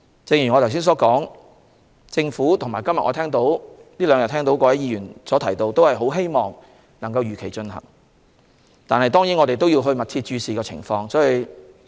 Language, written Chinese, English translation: Cantonese, 正如我剛才所說，我們這兩天聽到各位議員的意見，他們都很希望選舉可以如期進行，但我們也要密切注視情況。, As I said just now we have heard Members express their wish these two days that the Election should be held as scheduled . Yet we must closely monitor the situation